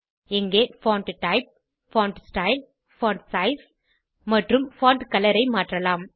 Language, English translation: Tamil, Here you can change the Font type, Font style, font Size and font Color